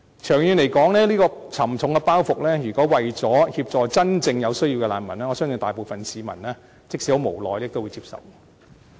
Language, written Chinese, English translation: Cantonese, 長遠來說，如果是為了協助真正有需要的難民，我相信大部分市民即使很無奈，但都會接受這個沉重包袱。, I believe that if the objective is to provide assistance to refugees in genuine need in the long run most people will still accept this heavy burden despite their helpless reluctance